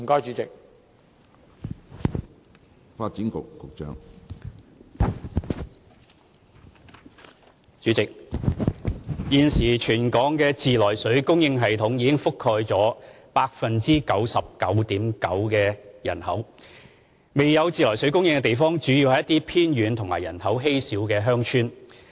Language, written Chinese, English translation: Cantonese, 主席，現時全港的自來水供應系統已覆蓋約 99.9% 的人口，未有自來水供應的地方主要是一些偏遠及人口稀少的鄉村。, President at present the treated water supply networks cover about 99.9 % of the population of Hong Kong . The areas that do not have treated water supply are mainly remote villages with sparse population